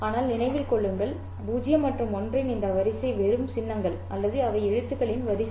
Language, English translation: Tamil, But remember these sequence of zeros and ones are just the symbols or they are the sequence of letters